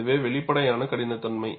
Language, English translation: Tamil, And this is an apparent toughness